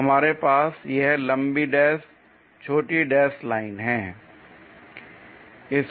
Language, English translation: Hindi, So, we have that long dash short dash line